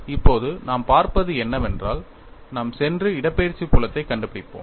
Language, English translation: Tamil, Now, what we will look at is, we will go and find out the displacement field